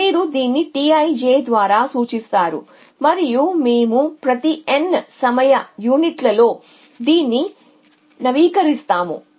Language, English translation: Telugu, You will do not by T i j and we will update it at every N time units